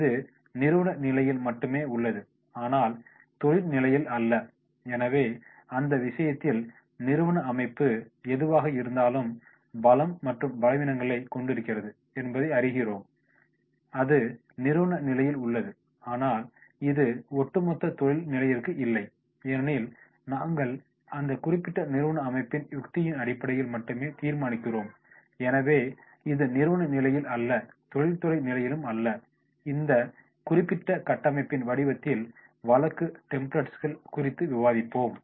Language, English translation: Tamil, This is of the organization only and not industry level, so therefore in that case we will find out that is whatever is the organization is having the strengths and weaknesses then that is at the organization level and this is not for the overall industry level because the strategy which we will decide on the basis of that particular organization only, so this is to be taken into consideration that is at organization level and not at the industry level, we have discussed the case templates in the form of this particular framing